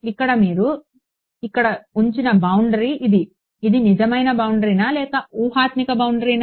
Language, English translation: Telugu, Now this boundary that you have put over here it is; is it a real boundary or a hypothetical boundary